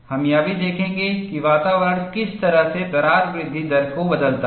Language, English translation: Hindi, We would also see, how does the environment changes the crack growth rate